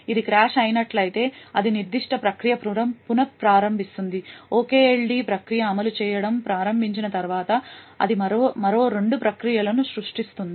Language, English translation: Telugu, If it has crashed then it would restart that particular process, after the OKLD process starts to execute, it would create two more processes